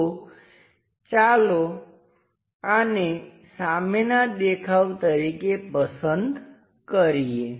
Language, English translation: Gujarati, So, let us use that one as the front view